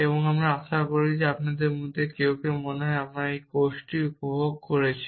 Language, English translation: Bengali, And I hope some of you at least enjoyed the course I think so